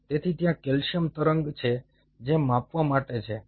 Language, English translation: Gujarati, so there is a calcium wave which has to be measured